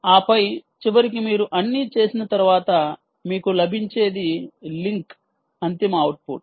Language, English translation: Telugu, and then, ultimately, after you do all that, what you will get is a link, ultimate output as a link